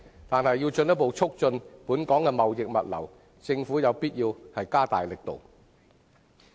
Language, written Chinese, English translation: Cantonese, 然而，如要進一步促進本港的貿易物流業，政府有必要加大力度。, However in order to further promote Hong Kongs trading and logistics industry it is necessary for the Government to step up its efforts